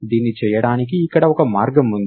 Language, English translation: Telugu, Here is one way of doing it